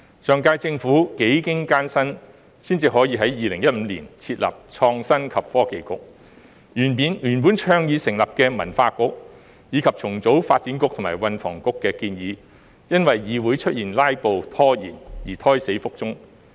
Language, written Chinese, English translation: Cantonese, 上屆政府幾經艱辛，才能夠在2015年設立創新及科技局，原本倡議成立的文化局，以及重組發展局和運輸及房屋局的建議，因為議會"拉布"拖延而胎死腹中。, After going through a lot of hardships the Government of the last term was able to set up the Innovation and Technology Bureau in 2015 . However the proposals of setting up a cultural bureau and reorganizing the Development Bureau and the Transport and Housing Bureau died on the vine due to filibustering and procrastination in the Council